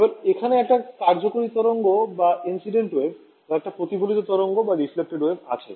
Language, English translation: Bengali, So, I have an incident wave over here and a reflected wave over here ok